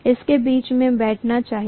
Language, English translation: Hindi, That should be sitting in between